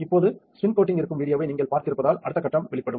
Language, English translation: Tamil, So, now, we since you have seen the video which is of spin coating the next step would be exposure